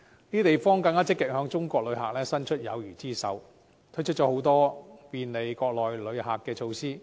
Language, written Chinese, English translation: Cantonese, 這些地方更積極向中國旅客伸出友誼之手，推出很多便利國內旅客的措施。, These places have also actively extended friendly hands to Chinese visitors and introduced a lot of facilitating measures to attract them